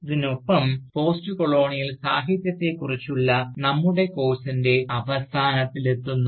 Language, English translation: Malayalam, And, with this, we come to an end of our course, on Postcolonial Literature